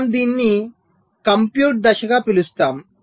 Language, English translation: Telugu, so we call this as the compute phase